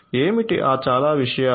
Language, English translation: Telugu, So, what are those many things